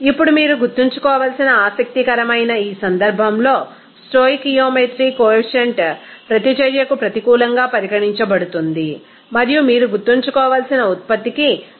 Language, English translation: Telugu, Now, in this case interesting that you have to remember the stoichiometry coefficient will be treated as a negative for the reactant and positive for the product that you have to remember